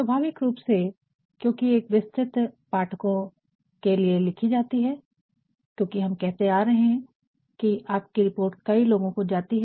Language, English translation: Hindi, Naturally, since it is written for a wider audience, because we have been saying, that your report may go to several people